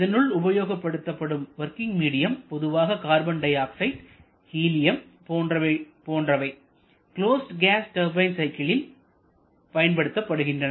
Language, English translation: Tamil, Common choice for working medium can be carbon dioxide can be helium these are quite common choice for closed cycle gas turbine